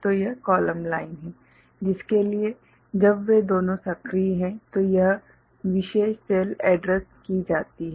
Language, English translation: Hindi, So, this is the column line ok so for which when both of them are I mean activated this particular cell is addressed ok